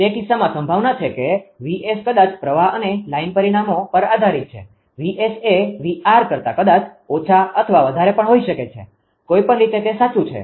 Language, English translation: Gujarati, In that case there is a possibility that VS maybe maybe depends on the current and line parameters; VS maybe less than or greater than VR also; either way it is true